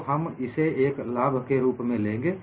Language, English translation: Hindi, So, we would take this as an advantage